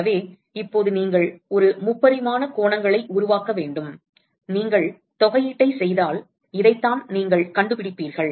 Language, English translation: Tamil, So, now, one could actually you should construct a 3 dimensional angles and if you do the integration this is exactly what you will find